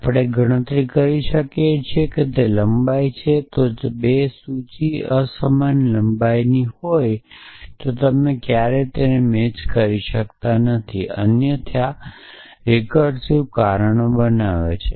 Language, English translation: Gujarati, So, we can compute it is length return fail if the 2 list are of unequal length then you can never make them match else make recursive cause